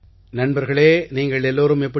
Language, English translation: Tamil, Friends, how are you